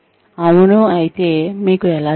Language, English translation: Telugu, If yes, how do you know